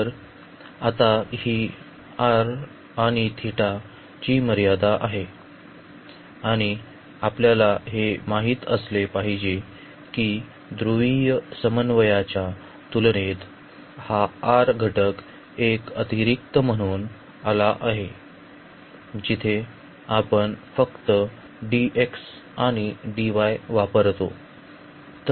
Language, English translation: Marathi, So, this is now these are the limits for r and theta and one we should know that this r factor has come as an extra in comparison to the polar coordinate, where we use to have just simply dx and dy